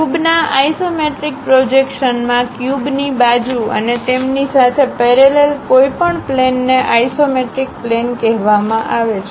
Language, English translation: Gujarati, In an isometric projection of a cube, the faces of the cube and any planes parallel to them are called isometric planes